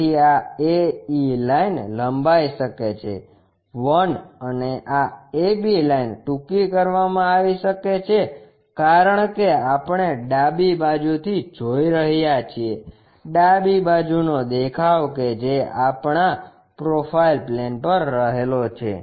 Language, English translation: Gujarati, So, this AE line might be elongated 1, and this ab line might be shorten, because we are looking from left side, left side view what we have on the profile plane